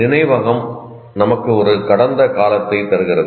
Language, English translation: Tamil, First of all, memory gives us a past